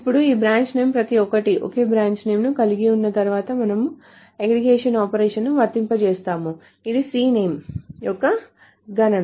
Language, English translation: Telugu, Now once they have the same branch name for each of this branch name we are applying some aggregate operation which is a count of C name